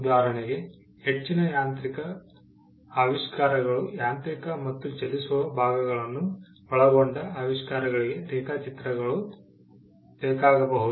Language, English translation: Kannada, For instance, most mechanical inventions, inventions involving mechanical and moving parts, may require drawings